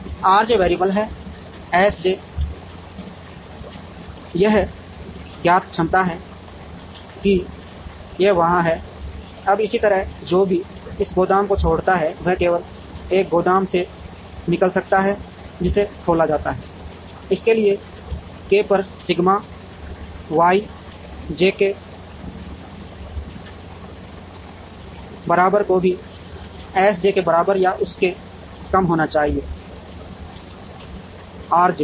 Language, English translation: Hindi, R j is the variable S j is a known capacity that it is there, now similarly whatever leaves this warehouse can leave only from a warehouse that is opened, so sigma Y j k summed over k should also be less than or equal to S j into R j